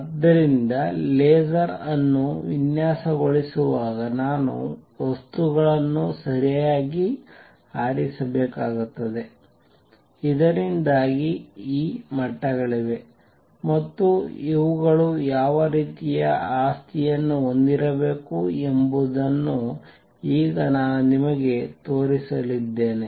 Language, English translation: Kannada, So, in designing a laser, I have to choose material properly, so that there are these levels and now I going to show you what kind of property is these should have